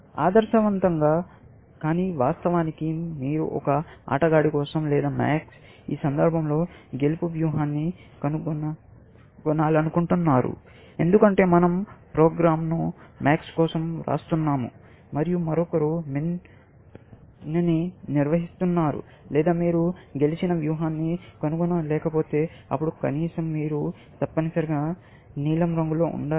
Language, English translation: Telugu, Ideally, of course, you want to find a winning strategy for a player, or max, in this case, because we are writing the program for max, let say, and somebody else is handling min, or if you cannot find a winning strategy, then at least, you should blue one, essentially